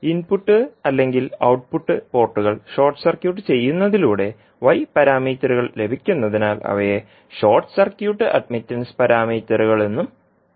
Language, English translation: Malayalam, So, since the y parameters are obtained by short circuiting the input or output ports that is why they are also called as the short circuit admittance parameters